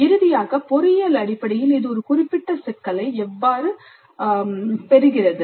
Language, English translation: Tamil, And finally, how does it get a specific problem in engineering terms